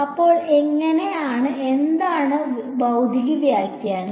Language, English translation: Malayalam, So, what is the physical interpretation now